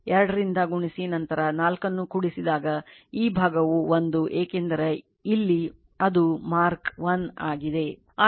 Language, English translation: Kannada, 5 multiplied by 2 right then plus 4 this side is 1 because here it is mark 1